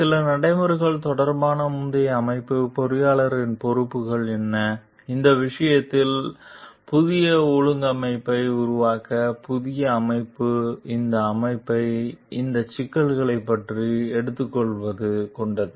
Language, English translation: Tamil, The earlier organization regarding some of the procedures, what are the responsibilities of the engineer in this case to make the new organize, new organization just taken this organization over about those issues